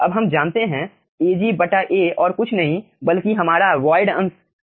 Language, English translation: Hindi, now we know ag by a is nothing but our void fraction alpha